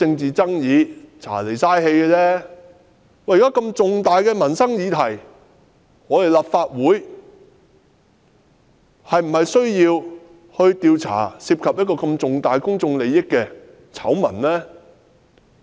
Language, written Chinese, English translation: Cantonese, 然而，這是重大的民生議題，立法會是否應調查這些涉及重大公眾利益的醜聞？, However this is an important livelihood issue . Should the Legislative Council not probe into such scandals involving significant public interests?